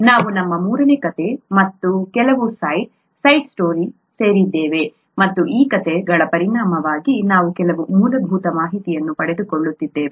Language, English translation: Kannada, We are into our third story and some side stories and as a result of these stories we are picking up some basic information